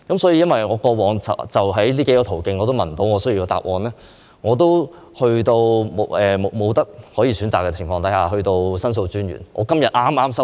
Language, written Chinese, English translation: Cantonese, 由於我過往在這些途徑都得不到我需要的答案，在沒有選擇的情況下，我向申訴專員作出申訴。, Given that I failed to solicit the related answers through these channels in the past I have no choice but to lodge a complaint to The Ombudsman